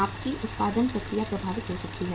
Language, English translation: Hindi, Your production process may get affected